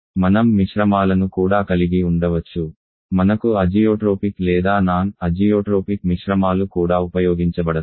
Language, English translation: Telugu, We can also mixtures we can have isotropic or zeotropic mixtures that are also used